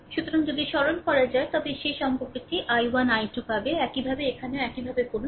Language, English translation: Bengali, So, if you simplify you will get that relationship i 1, i 2, similarly, here also same way you do, right